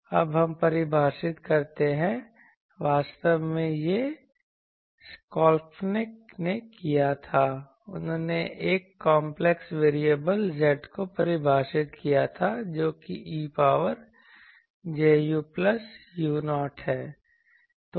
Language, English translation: Hindi, Now, let us define actually this Schelkunoff did this he defined a complex variable Z that is e to the power j u plus u 0